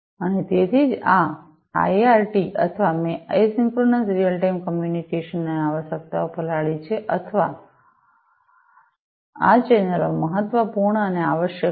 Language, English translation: Gujarati, And, that is why this IRT or the; I soaked isochronous real time communication requirements or these channels are important and required